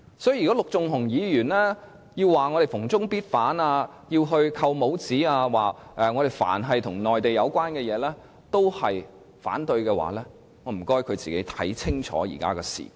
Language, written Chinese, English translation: Cantonese, 所以，如果陸頌雄議員指我們逢中必反，想"扣帽子"，指我們凡與內地有關的事情也反對的話，那便請他先看清楚現在的時局。, Hence I would ask Mr LUK Chung - hung to make a better grasp of the situation before putting labels on others and alleging others of rejecting everything connected with China